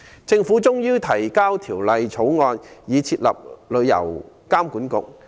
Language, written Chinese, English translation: Cantonese, 政府終於提交《條例草案》，以設立旅監局。, The Government has finally introduced the Bill to establish TIA